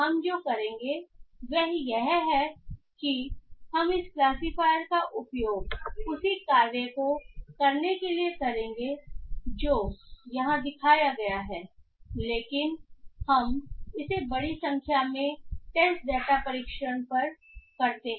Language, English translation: Hindi, What we will do is that we will use this classifier to do the same task that is shown here but we test it on a larger number of test data